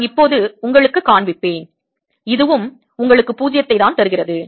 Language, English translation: Tamil, i'll show you now that this also gives you zero